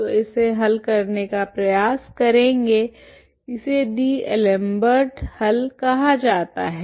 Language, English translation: Hindi, So will try to solve this, this is called the D'Alembert solution